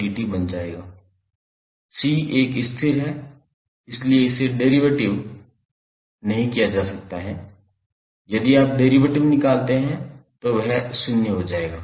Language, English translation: Hindi, C is a constant, so they cannot differentiate, if you differentiate it will become zero